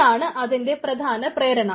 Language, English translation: Malayalam, so that is the major motivation